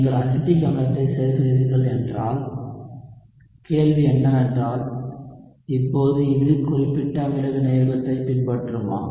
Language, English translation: Tamil, So if you are adding acetic acid, the question is, now will this still follow specific acid catalysis